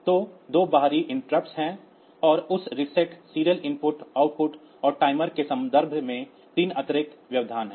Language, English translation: Hindi, So, there are 2 external interrupts and there are 3 internal interrupts in terms of that reset serial input output and the timers